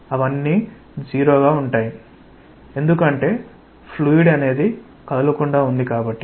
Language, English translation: Telugu, They will be zero because it is fluid at rest